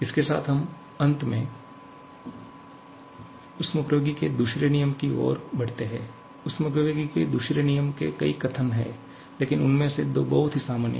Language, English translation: Hindi, With this, we finally move on to the second law of thermodynamics, there are several statements of second law of thermodynamics but 2 of them are very common